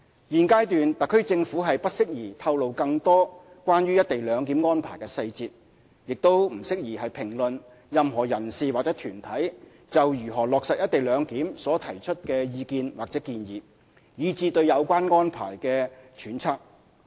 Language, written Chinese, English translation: Cantonese, 現階段，特區政府不適宜透露更多關於"一地兩檢"安排的細節，也不宜評論任何人士或團體就如何落實"一地兩檢"所提出的意見或建議，以至對有關安排的揣測。, At this juncture it would be inappropriate for the Government to disclose more details on the co - location arrangement or comment on the views or proposals from any individual or group on the co - location arrangement as well as any speculations on the related issue